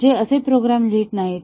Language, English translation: Marathi, They do not write programs like this